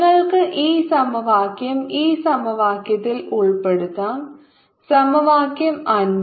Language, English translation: Malayalam, you can put this equation, this equation, equation five